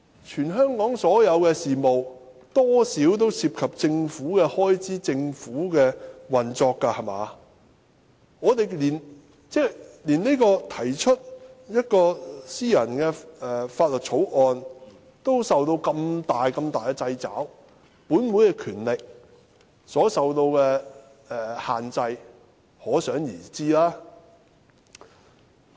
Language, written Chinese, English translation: Cantonese, 全香港所有事務多少都涉及政府開支和運作，我們連提出私人法案都受到這麼大的掣肘，本會議員權力所受到的限制，可想而知。, All affairs in Hong Kong are more or less related to the Governments expenditure and operation . We are subject to great limitations even in introducing private bills . We can well imagine the restrictions imposed on the power of Members in this Council